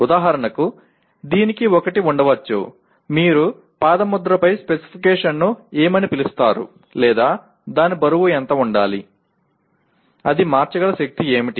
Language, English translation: Telugu, For example, it may have a, what do you call specification on the footprint or how much it should weigh, what is the power it should be able to convert